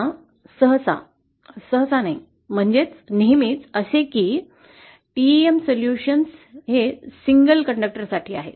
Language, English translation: Marathi, Now usually, not usually itÕs always true that there is a single TEM solution